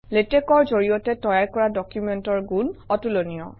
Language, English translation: Assamese, The quality of documents produced by latex is unmatched